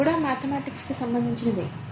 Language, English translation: Telugu, That's also mathematics